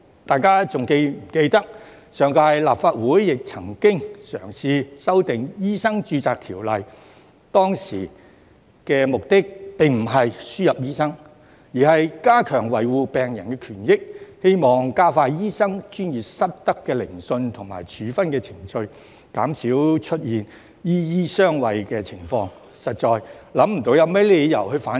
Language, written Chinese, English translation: Cantonese, 大家是否還記得上屆立法會亦曾嘗試修訂《醫生註冊條例》，當時的目的不是輸入醫生，而是加強維護病人權益，希望加快醫生專業失德的聆訊和處分程序，減少出現"醫醫相衞"的情況，實在想不出有甚麼理由反對。, I wonder if Members still remember that the last - term Legislative Council also tried to amend the Medical Registration Ordinance but the objective at the time was not to seek admission of NLTDs but to enhance protection of patients rights and interests . It was intended to speed up the procedures for disciplinary inquiries on professional misconduct of doctors to reduce the occurrence of doctors shielding one another and I could really not think of any reason to oppose it